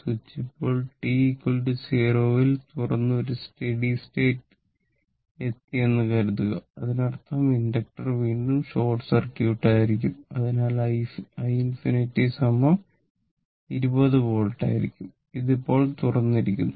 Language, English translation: Malayalam, So, this switch is opened now and at t is equal to 0 and suppose a steady state is reached; that means, switch is open and steady state is reached means inductor again will be short circuit therefore, my i infinity will be is equal to 20 volt and this is open now